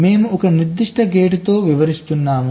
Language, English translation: Telugu, so we illustrate with a particular gate